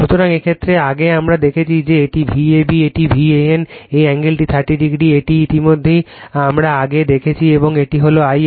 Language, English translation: Bengali, So, in this case , earlier we have seen this is V a b this is your V a n; this angle is 30 degree this is already we have seen before and this is I a right